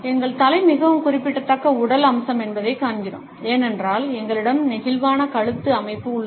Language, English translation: Tamil, We find that our head is a very significant body feature, because we have a flexible neck structure